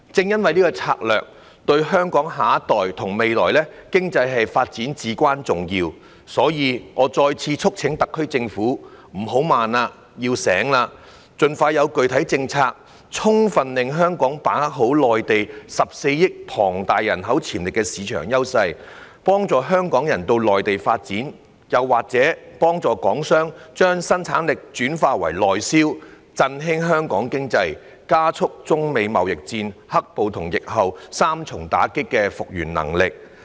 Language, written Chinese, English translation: Cantonese, 由於這項策略對香港下一代和未來經濟發展至關重要，所以我再次促請特區政府"不要怠慢，要醒來了"，盡快提出具體政策，令香港充分把握內地14億龐大人口潛力市場的優勢，幫助港人到內地發展，或幫助港商將生產力轉化為內銷，振興香港經濟，加速本港經濟在中美貿易戰、"黑暴"及疫情三重打擊後的復原能力。, Since this strategy is crucial to Hong Kongs next generation and future economic development I once again urge the SAR Government not to be slow and wake up . The Government should put forward specific policies as soon as possible to enable Hong Kong to fully leverage the advantages provided by Mainlands huge potential market of 1.4 billion people to help Hong Kong people pursue development in the Mainland or facilitate Hong Kong enterprises in transferring their productivity to the domestic market thereby revitalizing Hong Kongs economy and speeding up the recovery of Hong Kongs economy after the triple blow of the China - United States trade war the black - clad riots and the epidemic